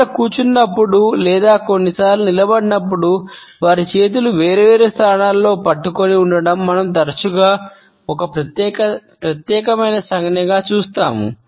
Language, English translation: Telugu, Often we come across a particular gesture among people, when they are sitting or sometimes standing over their hands clenched together in different positions